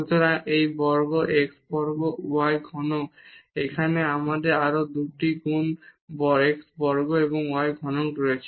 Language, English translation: Bengali, So, this x square y cube here also we have 2 times x square y cube